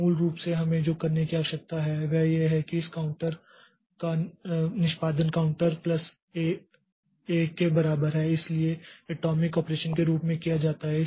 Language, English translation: Hindi, So, basically what we need to do is that the execution of this counter equal to counter plus one it has to be done as an atomic operation